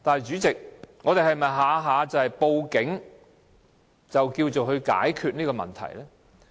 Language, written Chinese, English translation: Cantonese, 主席，但我們是否每次也要用報警來解決問題呢？, President do we have to call the police to solve an issue every time?